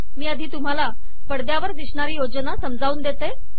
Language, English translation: Marathi, Let me first explain the arrangement that I have on the screen